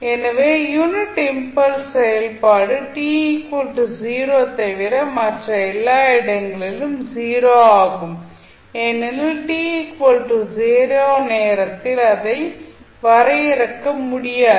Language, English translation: Tamil, So, unit impulse function is 0 everywhere except at t is equal to 0 where it is undefined because it is it cannot be defined at time t equal to 0